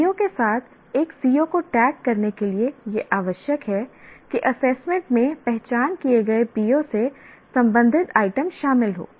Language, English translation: Hindi, Now you should tag a CO with a PO, NCO, should require that the assessment includes items related to the identified PO